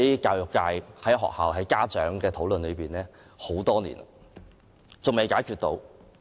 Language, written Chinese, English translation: Cantonese, 教育界、學校和家長已圍繞這項爭議討論多年，但仍未解決。, The education sector schools and parents have held discussions over this controversy for years but it remains unsolved